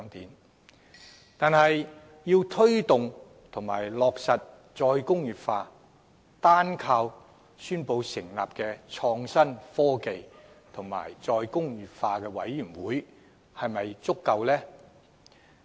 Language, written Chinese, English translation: Cantonese, 然而，要推動及落實"再工業化"，單靠宣布成立創新、科技及再工業化委員會是否足夠？, But can the Government promote and implement re - industrialization simply by announcing the establishment of the Committee on Innovation Technology and Re - industrialization?